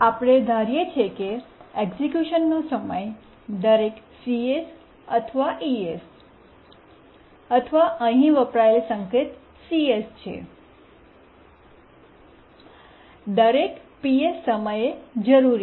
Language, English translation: Gujarati, We assume that the execution time is CS or ES, okay, the notation used here is CS, required every PS time